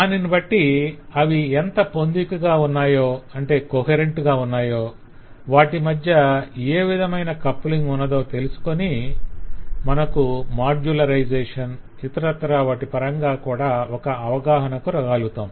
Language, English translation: Telugu, and based on that we can find out how coherent they are, what kind of coupling between them exist and that give a good clue in terms of modularization and all those as well